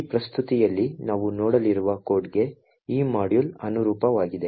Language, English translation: Kannada, So this particular module corresponds to the code that we have seen in the presentation